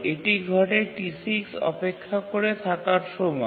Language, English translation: Bengali, And all the while T6 is kept waiting